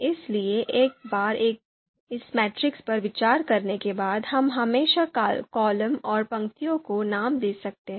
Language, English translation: Hindi, So once this matrix is considered, we can always name the columns and rows